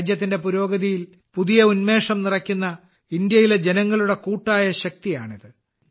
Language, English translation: Malayalam, This is the collective power of the people of India, which is instilling new strength in the progress of the country